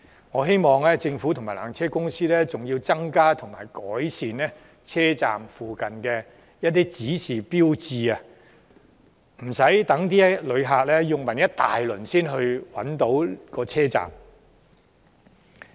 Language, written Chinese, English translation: Cantonese, 我更希望政府及纜車公司會增加及改善車站附近的指示標誌，讓旅客不必到處詢問，也能找到車站。, I hope the Government and PTC will increase and improve the signage in the vicinity of the Upper Terminus so that visitors can find their way to the peak tram station without the need to make enquiries everywhere